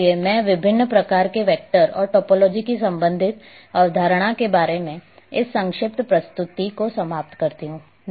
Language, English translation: Hindi, So, I come to end of this brief presentation about different types of vectors and associated concept of topology